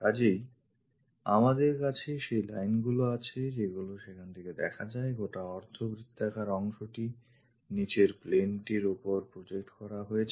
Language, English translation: Bengali, So, we have those lines visible there, this entire semi circular portion projected onto the bottom plane